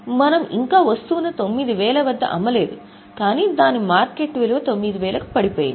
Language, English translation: Telugu, We have not yet sold the particular item at 9,000 but its market value has come down to 9,000